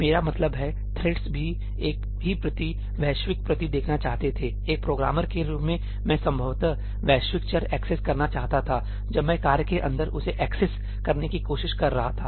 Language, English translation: Hindi, I mean, the threads also wanted to view the same copy, global copy; as a programmer I probably wanted to access the global variable when I was trying to access that inside the task